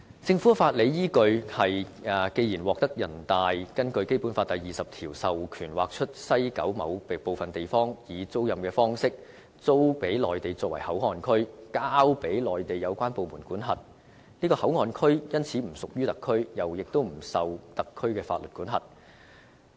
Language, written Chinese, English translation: Cantonese, 政府的法理依據：既然獲人大根據《基本法》第二十條授權劃出西九某部分地方，以租賃方式給內地作為口岸區，交予內地有關部門管轄，該口岸區因此已不屬於特區，不受特區法律管轄。, The Government has the following legal basis Since the Government is authorized by NPC pursuant to Article 20 of the Basic Law to set up a Port Area for the Mainland by way of a lease at a certain area of West Kowloon which will be administered by the Mainland authorities concerned that Port Area will therefore no longer belong to the HKSAR and will not be subject to the jurisdiction under the laws of HKSAR